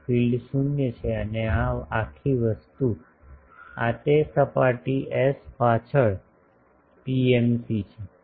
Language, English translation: Gujarati, So, the fields are 0 0 and this whole thing is a this is the PMC behind that surface S